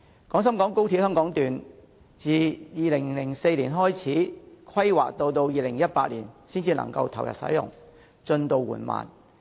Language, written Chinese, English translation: Cantonese, 廣深港高鐵香港段自2004年開始規劃，直至2018年才可投入使用，進度緩慢。, Considering that the Hong Kong Section of XRL started its planning in 2004 and can only be commissioned in 2018 the progress is slow